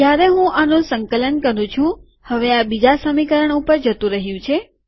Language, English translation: Gujarati, When I compile it, now these have gone to second equation